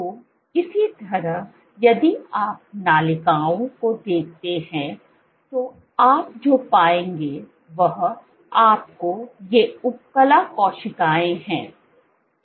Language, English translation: Hindi, So, similarly if you look at the ducts, so what you will find is you have these epithelial cells